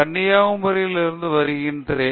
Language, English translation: Tamil, So, I am actually from Kanyakumari